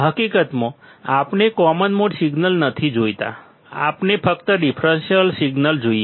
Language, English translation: Gujarati, In reality, we do not want common mode signals, we only want the differential signals